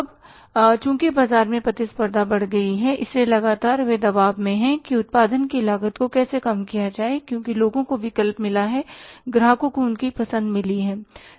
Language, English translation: Hindi, Now since the competition has increased in the market, so continuously they are under pressure how to reduce the cost of production because people have got the choice, customers have got the choice